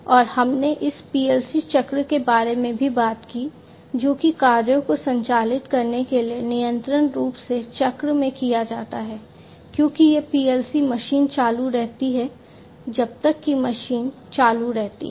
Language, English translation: Hindi, And we also talked about this PLC cycle, which continues to operate the tasks are continuously done in the cycle as these PLC machine keeps on operating, until the machine keeps on operating